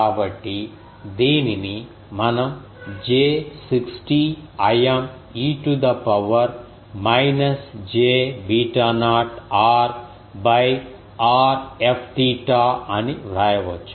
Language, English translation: Telugu, So, this we can write as j 60 I m e to the power minus j beta naught r by r F theta